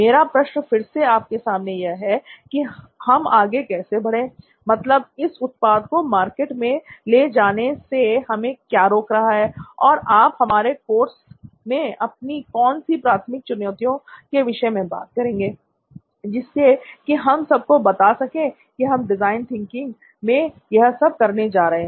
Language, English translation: Hindi, So my question to you again is that how shall we move forward in that and what is stopping us from taking this product out there into the market, what are your primary challenges that you want to address out of our course here, so that we can show them that this is what we are going to do in design thinking